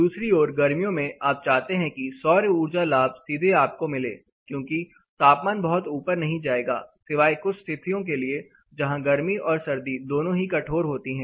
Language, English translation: Hindi, On the other hand during summers you really want more direct solar heat gain to come because the temperatures are not going to go very high except for certain extreme cases where you know both summers as well as winter are both harsh